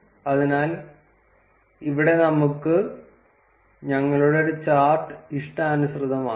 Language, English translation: Malayalam, So, here we can customize our chart